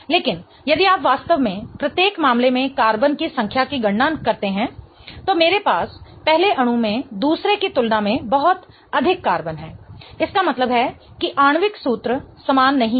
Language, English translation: Hindi, But if you really count the number of carbons in each case, I have way too many carbons in the first molecule as compared to the other one